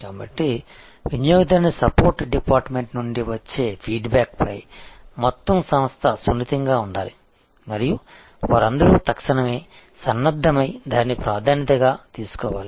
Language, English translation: Telugu, So, the whole organization we should be sensitive to the feedback coming from the customer support department and they must all immediately gear up and take it up as a priority